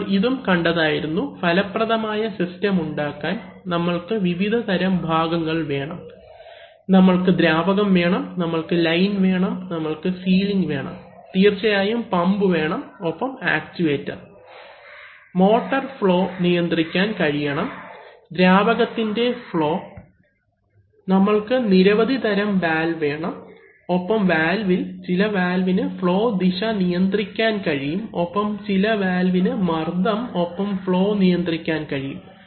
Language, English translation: Malayalam, We have also seen that for making an effective system, we need to have various kinds of components, we need the fluid, we need the lines, we need the ceilings, we, of course we need pumps and the actuators, the motor, we also need to control the flows, flow of the fluid, we need various kinds of valves and among the valves, there are some valves which control the direction of flow and there are some valves which control the pressure and the flow